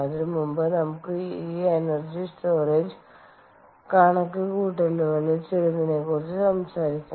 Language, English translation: Malayalam, before that, lets talk about some of these energy storage calculations